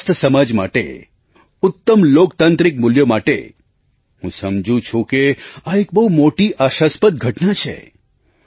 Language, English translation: Gujarati, For a healthy society, and for lofty democratic values I feel that, it is a very hope inspiring event